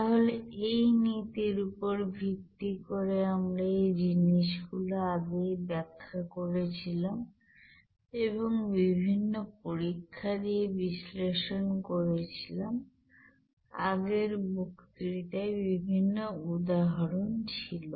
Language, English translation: Bengali, So based on these principles we have already described all these things and analyzed based on different experiments and different examples there in the previous lecture